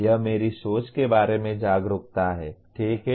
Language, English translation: Hindi, This is an awareness of my thinking, okay